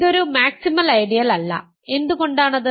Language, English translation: Malayalam, This is not a maximal ideal, why is that